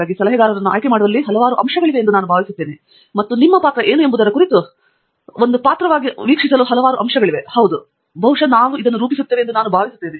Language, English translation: Kannada, So, I think there are several factors that go in to choosing a advisor and there are several factors to watch out for as a role as what your role is and yes, I think we probably outline this